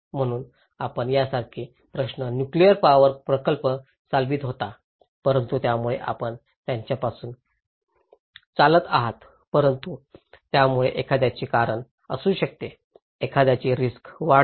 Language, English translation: Marathi, So this kind of questions like you were running a nuclear power plant but that may cause you were running from that but that may cause someone’s, increase someone’s risk